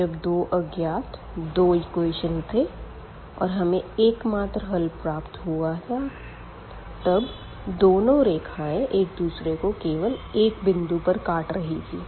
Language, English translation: Hindi, So, precisely in this case what we got we got the unique solution because these 2 lines intersect exactly at one point